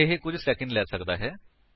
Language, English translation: Punjabi, This may take a few seconds